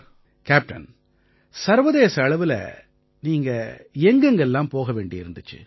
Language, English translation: Tamil, Captain, internationally what all places did you have to run around